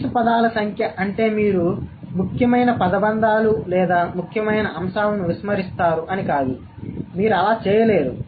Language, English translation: Telugu, The minimum number of words doesn't mean that you will miss out or you would ignore the essential phrases or the essential elements